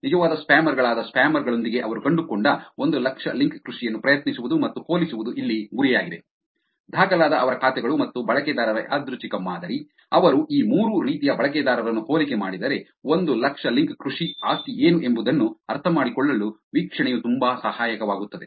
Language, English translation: Kannada, The goal here is to try and compare the hundred thousand link farmers they found with spammers, which are real spammers; their accounts that are recorded and random sample of users, if they compare these three types of users, the observation can be very helpful to understand what is the property of these 100,000 link farmers